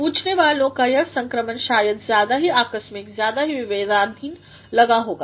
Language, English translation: Hindi, To the questioner, the transition probably seemed too abrupt too arbitrary